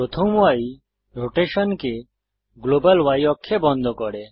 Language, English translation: Bengali, The first y locks the rotation to the global y axis